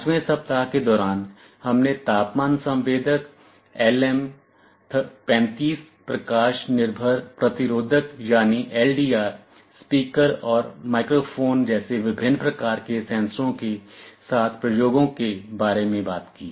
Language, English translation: Hindi, During the 5th week, we talked about experiments with various kinds of sensors like temperature sensors LM35, light dependent resistors , speakers and microphones